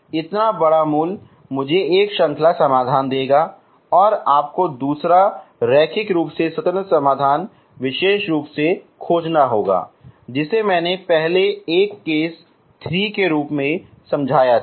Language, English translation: Hindi, So bigger root will give me one series solution and you have to find second linearly independent solution as special form which I explained earlier as a case 3